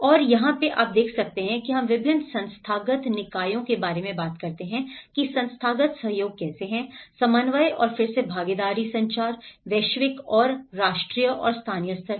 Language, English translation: Hindi, And this is where we talk about different institutional bodies, how institutional cooperation, coordination and again at participation communication, the global and national and local levels